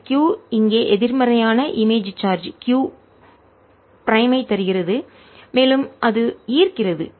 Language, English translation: Tamil, the potential is there because this q gives a negative image, charge here q prime, and that attracts it